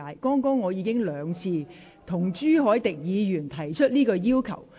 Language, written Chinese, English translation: Cantonese, 我剛才亦已兩度向朱凱廸議員提出同樣要求。, Just now I made the same request on Mr CHU Hoi - dick twice already